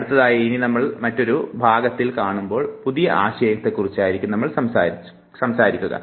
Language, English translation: Malayalam, When we meet next we will be talking about a new concept